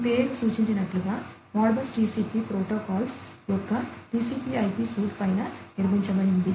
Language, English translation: Telugu, As this name suggests, ModBus TCP is built on top of TCP/IP suite of protocols